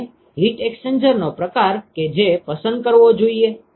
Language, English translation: Gujarati, And what is the type of the heat exchanger that I should choose